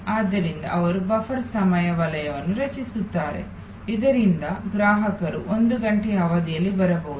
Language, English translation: Kannada, So, they create a buffer time zone, so that customer's can arrive over a span of one hour